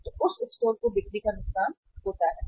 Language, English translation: Hindi, So there is a loss of sale to that store